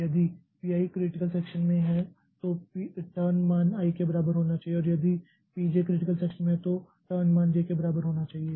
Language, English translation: Hindi, I is in critical section then the turn value must be equal to I and if PJ is in critical section then turn value must be equal to J